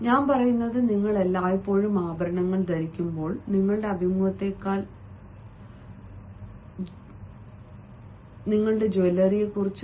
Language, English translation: Malayalam, i mean, it is always better, because when you are wearing jewelry you are more bothered about the jewelry than about your interview